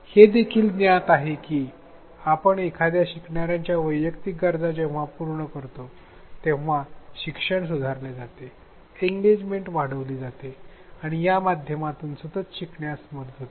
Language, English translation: Marathi, It is also known that when we address the individual needs of a learner then learning is improved, engagement is enhanced and at least there is support for continuous learning within this medium